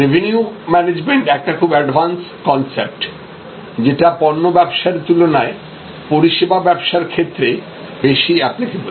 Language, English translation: Bengali, Revenue management is an advance concept, quite applicable or rather more applicable in the services business as oppose to in the goods business